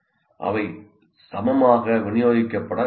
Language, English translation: Tamil, Or they need not be evenly distributed